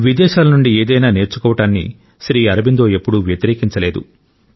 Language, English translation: Telugu, It is not that Sri Aurobindo ever opposed learning anything from abroad